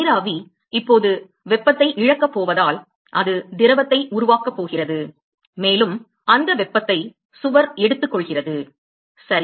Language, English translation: Tamil, Because vapor is now going to loss heat it is going to form liquid and that heat is being taken up by the wall ok